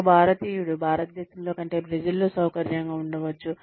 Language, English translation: Telugu, An Indian may be more comfortable in Brazil than, he may be in India